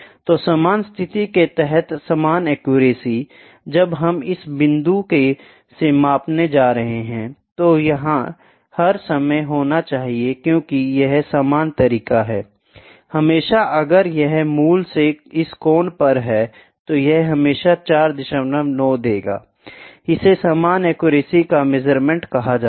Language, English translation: Hindi, So, identical accuracy under identical condition; when we are going to measure from this point it has to be all the time because it is the identical way; always if it is at this angle at this angle from the original, it will always give 4